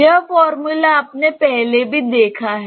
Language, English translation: Hindi, This formula you have encountered earlier